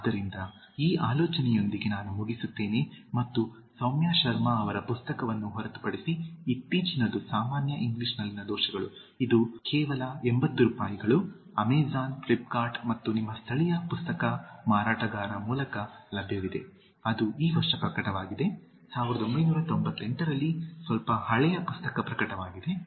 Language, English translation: Kannada, So, with this thought, let me conclude and just apart from the book of Saumya Sharma, the recent one it’s just one eighty rupees, available through Amazon, Flipkart so and your local bookseller also, Common Errors in English, that is published just this year, there is a slightly old book published in 1998